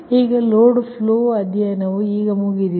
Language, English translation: Kannada, after the load flow studies you got